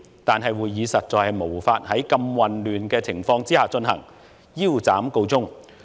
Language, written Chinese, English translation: Cantonese, 但會議實在無法在如此混亂的情況下進行，腰斬告終。, However the meeting could not proceed under such chaotic situation and was therefore aborted